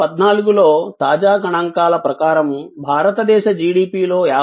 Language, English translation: Telugu, According to the latest statistics in 2014, 59